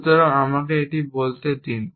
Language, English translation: Bengali, So, let me say this